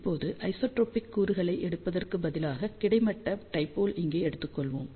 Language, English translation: Tamil, So, now, instead of taking isotropic elements, let us take horizontal dipole over here and horizontal dipole over here